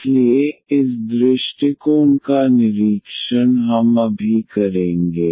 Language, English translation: Hindi, So, this approach would by inspection we will do now